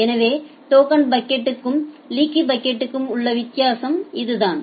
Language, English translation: Tamil, So, that is the difference between token bucket and leaky bucket